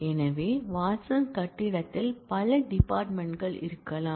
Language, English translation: Tamil, So, Watson building may have multiple departments